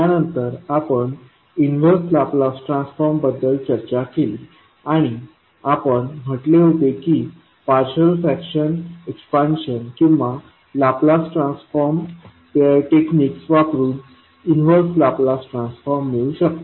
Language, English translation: Marathi, Then we discussed the inverse Laplace transform and we said that the inverse Laplace transform can be found using partial fraction expansion or using Laplace transform pairs technique